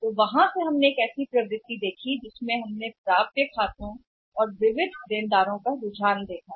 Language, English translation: Hindi, So, from there we have seen a trend we have tried to see trend about the accounts receivables and say sundry debtors